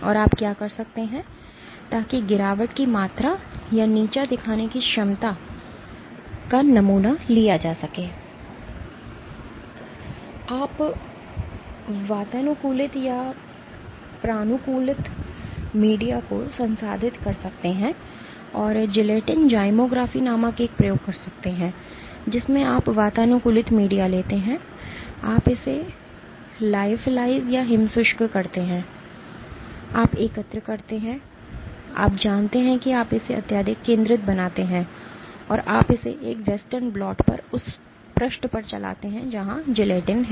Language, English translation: Hindi, And what you can do is in order to sample the amount of degradation or the amount of ability to degrade, you can process the conditioned media and do an experiment called gelatin zymography in which you take the conditioned media, you lypholize it, you collect the essential, you know you make it highly concentrated and you run it on a western blot on a page where gelatin is there